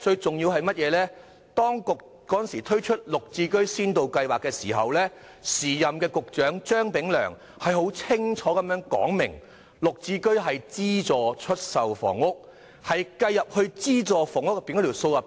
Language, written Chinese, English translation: Cantonese, 此外，當局推出"綠置居"的時候，時任局長張炳良清楚指出，"綠置居"屬於資助出售房屋，應計算在資助房屋的數字內。, Furthermore when GSH was launched the then Secretary Prof Anthony CHEUNG clearly pointed out that GSH should be included in subsidized housing figures for calculation purposes as it was regarded as subsidized sale housing